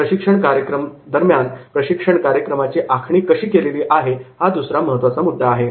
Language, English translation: Marathi, Second important point is, there is a training program designing the training program, how the training program has been designed